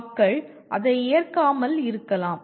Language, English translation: Tamil, People may disagree with that